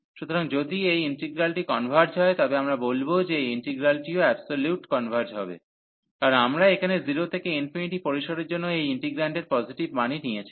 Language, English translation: Bengali, So, if this integral converges, we call that this integral converges absolutely, because we have taken the positive values of this integrant for the range here 0 to infinity